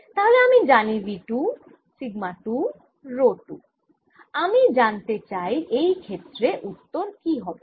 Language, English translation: Bengali, so i know v two, sigma two, rho two, known situation